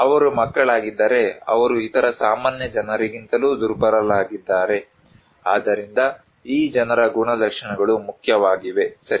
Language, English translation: Kannada, If they are kids, they are also vulnerable than other common people, so the characteristics of these people that matter right